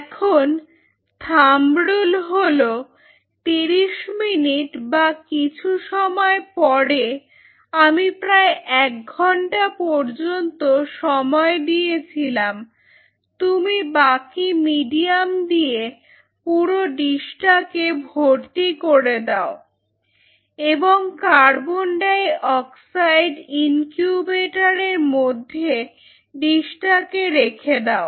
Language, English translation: Bengali, And the thumb rule is after 30 minutes or sometime even I have gone up to one hour you then fill the whole dish with rest of the medium and put it in the CO 2 incubator for growth